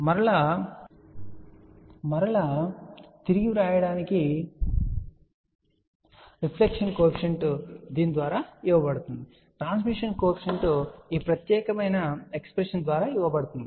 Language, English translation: Telugu, And where just to rewrite again reflection coefficient is given by this, transmission coefficient is given by this particular expression